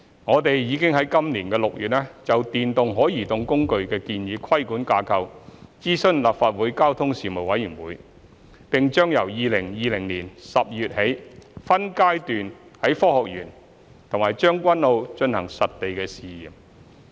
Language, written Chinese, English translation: Cantonese, 我們已於今年6月就電動可移動工具的建議規管架構諮詢立法會交通事務委員會，並將由2020年12月起分階段於科學園和將軍澳進行實地試驗。, In June this year we consulted the Panel on Transport of the Legislative Council on the proposed regulatory framework for electric mobility devices and we will conduct site trials in Science Park and Tseung Kwan O by phases starting from December 2020